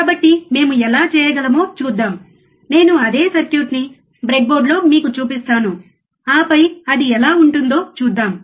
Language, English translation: Telugu, So, let us see how we can do it the same circuit, I will show it to you on the breadboard, and then we will see how it looks like